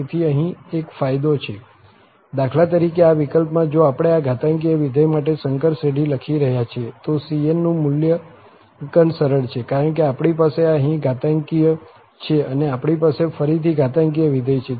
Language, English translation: Gujarati, So, there is an advantage here, for instance, in this case, if we are writing the complex series for this exponential function, evaluation of this cn is easy, because we have exponential and we have again exponential